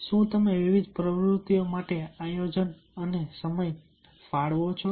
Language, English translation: Gujarati, do you plan and allocate time for different activities